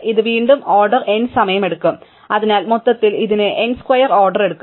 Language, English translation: Malayalam, This will again take order n time and therefore, overall it takes order n square